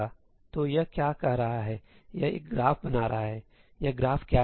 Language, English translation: Hindi, So, what is this saying; this is creating a graph, what is this graph